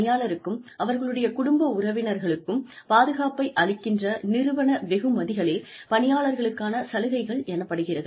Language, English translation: Tamil, Employee benefits refer to, group membership rewards, that provide security, for employees, and their family members